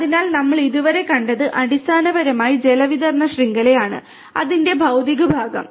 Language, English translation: Malayalam, So, what we have seen so far is basically the water distribution network, the physical part of it